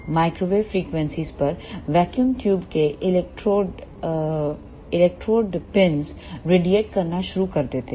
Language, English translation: Hindi, At microwave frequencies electrode pills of the vacuum tubes start radiating